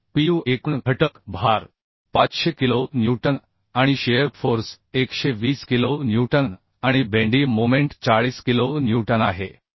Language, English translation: Marathi, So Pu that P total factor load is 500 kilo Newton and shear force 120 kilo Newton and bending moment 40 kilo Newton